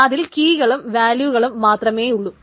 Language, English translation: Malayalam, It just says there is a key and there is a value